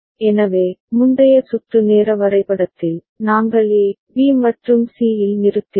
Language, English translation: Tamil, So, in the earlier circuit timing diagram, we stopped at A, B, and C